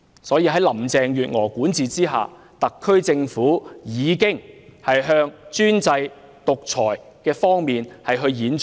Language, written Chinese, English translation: Cantonese, 因此，在林鄭月娥的管治下，特區政府已循專制、獨裁的方向演進。, Hence under the governance of Carrie LAM the SAR Government is heading towards autocracy and dictatorship